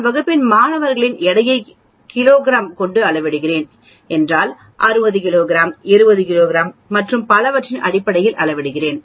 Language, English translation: Tamil, If I am measuring weight of the class, then I will be measuring in terms of kilograms 60 kilograms, 70 kilograms and so on